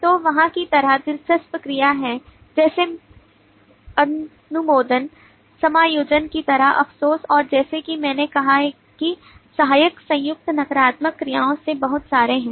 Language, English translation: Hindi, so there is interesting verb like approve, like regret like adjust and there are lot of as i said is auxiliary combined verbs the negative actions